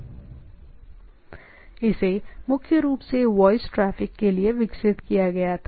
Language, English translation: Hindi, Secondly, what we have primarily developed for voice traffic